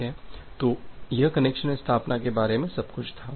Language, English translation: Hindi, Well so, that was the all about the connection establishment